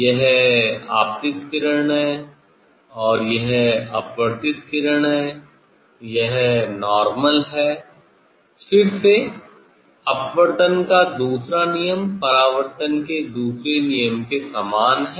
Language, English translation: Hindi, it is incident ray, and this is the refracted ray, this is the normal, again second law of refraction is same as the second law of reflection